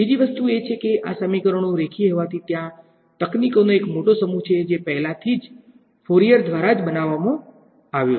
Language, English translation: Gujarati, The other thing is that these equations being linear there is a large set of techniques which have already been built by Fourier right